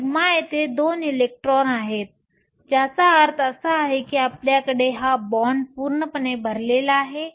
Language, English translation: Marathi, Sigma, there are two electrons here, which means you have this band is completely full